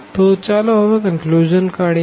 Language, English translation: Gujarati, So, and now coming to the conclusion